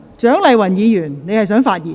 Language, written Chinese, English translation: Cantonese, 蔣麗芸議員，你是否想發言？, Dr CHIANG Lai - wan do you wish to speak?